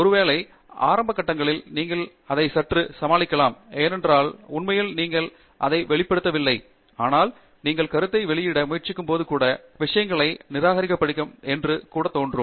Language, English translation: Tamil, Maybe in the initial phases you can deal with it little bit because you have not really published it, but when you try to publish the work, even there you will see things will get rejected